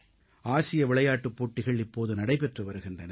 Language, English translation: Tamil, The Asian Games are going on